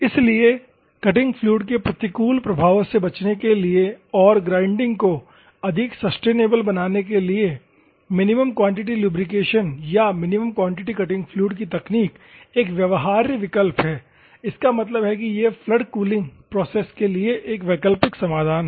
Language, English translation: Hindi, So, to avoid the adverse effects of cutting fluid and to make grinding more sustainable, minimum quantity lubrication or minimum quantity cutting fluid technique is a viable alternative; that means, that it is an alternative solution for flood cooling process